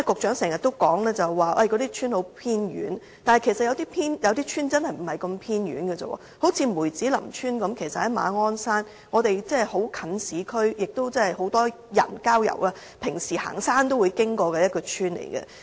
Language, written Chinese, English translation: Cantonese, 主席，局長剛才常說那些鄉村很偏遠，但其實有些鄉村真的並不偏遠，例如梅子林村其實是在馬鞍山，離市區很近，也是很多市民平時郊遊遠足會經過的鄉村。, President the Secretary has just mentioned that these villages are very remote . But indeed some of them are not remote such as Mui Tsz Lam Village which is in Ma On Shan close to urban areas and also a usual passing spot for many people on hikes